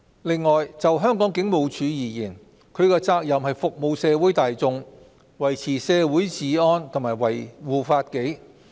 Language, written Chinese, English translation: Cantonese, 此外，就香港警務處而言，其責任是服務社會大眾，維持社會治安及維護法紀。, Furthermore as to the Hong Kong Police its duties are to serve the public maintain and safeguard the law and order